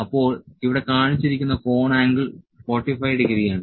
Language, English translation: Malayalam, So, this is the angle it is showing 45 degree angle